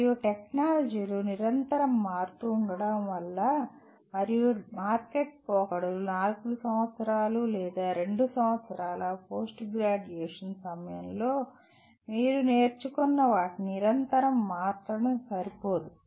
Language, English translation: Telugu, And with technologies continuously changing and market trends continuously changing what you learn during the 4 years or 2 years of post graduation is not going to be adequate